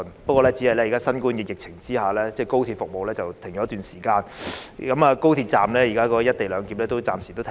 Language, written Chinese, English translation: Cantonese, 不過，只是在新冠疫情下，高鐵服務停頓了一段時間，現在高鐵站內的"一地兩檢"安排亦暫時停止。, However under the pandemic the High Speed Rail services have been suspended for a period of time and the co - location arrangement at the High Speed Rail stations is also temporarily suspended